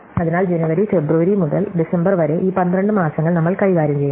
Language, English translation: Malayalam, So, we are dealing with these 12 months January, February to December